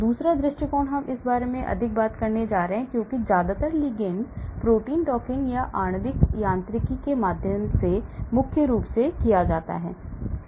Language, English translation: Hindi, now the second approach in fact we are going to talk more about this because most of the ligand protein docking is done through molecular mechanics predominantly